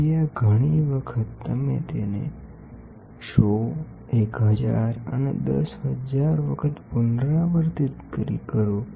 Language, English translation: Gujarati, So, this many a times you repeat it 100 1000 and 10000 times